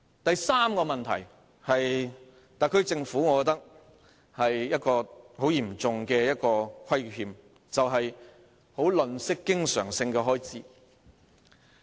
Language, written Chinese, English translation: Cantonese, 第三個問題，我認為是特區政府對我們的嚴重虧欠，便是吝嗇經常開支。, The third problem in my opinion is a serious disservice the Special Administrative Region SAR Government has done to us which is its meanness with recurrent expenditure